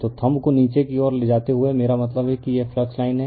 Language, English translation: Hindi, So, thumb it moving downwards I mean this is the flux line